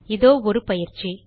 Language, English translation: Tamil, Here is an assignment